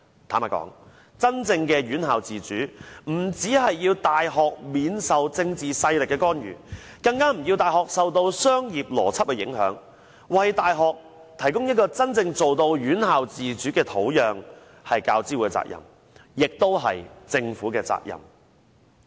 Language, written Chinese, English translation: Cantonese, 坦白說，真正的院校自主，不單要大學避受政治勢力的干預，更要大學不受商業邏輯的影響，為大學提供真正院校自主的土壤，這是大學教育資助委員會的責任，也是政府的責任。, Honestly in order for tertiary institutions to have true autonomy they should be immune from political interferences or be free from the influence of business logics . It is the responsibility of UGC and also that of the Government to provide the soil that truly fosters autonomy in universities